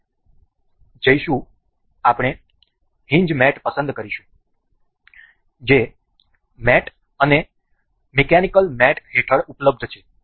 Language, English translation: Gujarati, We will go we will select hinge mate that is available under mate and mechanical mate